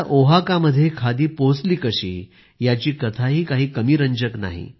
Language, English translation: Marathi, How khadi reached Oaxaca is no less interesting